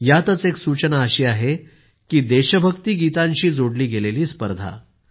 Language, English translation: Marathi, One of these suggestions is of a competition on patriotic songs